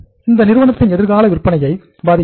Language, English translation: Tamil, That impacts the future sales of the firm